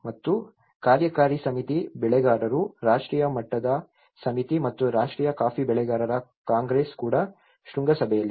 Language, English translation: Kannada, And there is also the executive committee, the growers, national level committee and the national coffee growers congress on the summit